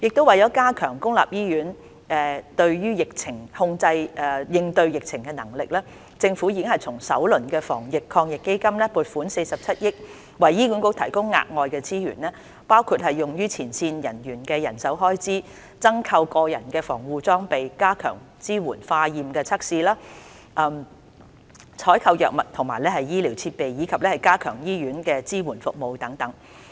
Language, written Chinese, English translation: Cantonese, 為加強公立醫院應對疫情的能力，政府已從首輪防疫抗疫基金撥款47億元，為醫管局提供額外資源，包括用於前線人員的人手開支、增購個人防護裝備、加強支援化驗測試、採購藥物和醫療設備，以及加強醫院支援服務等。, To enhance the capability of public hospitals in responding to the epidemic situation the Government has allocated 4.7 billion from the first round of the Anti - epidemic Fund the Fund as additional resources for HA to use for among others the personnel - related expenditure for frontline staff procuring additional personal protective equipment enhancing support for laboratory testing procuring drug and medical equipment as well as strengthening hospital support services